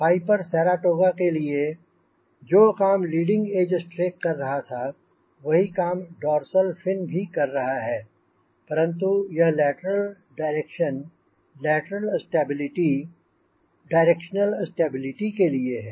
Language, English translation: Hindi, so what leading a strack was doing for purpose saratoga, dorsal fin is doing the same thing, but for the lateral direction, lateral stability, the restore stability, ok